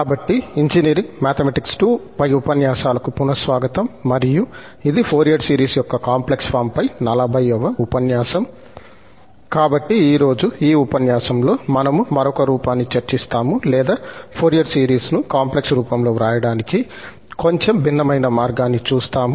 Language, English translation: Telugu, So, today in this lecture, we will discuss the, another form slightly different way of writing the Fourier series and that is in the complex Form